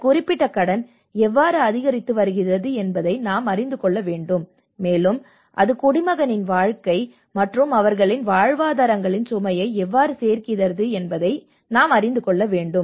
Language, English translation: Tamil, So how we are able to, how this particular debt is increasing, and it is adding to the burden of the citizen's lives and their livelihoods